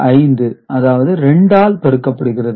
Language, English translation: Tamil, 5 it is multiplied by 2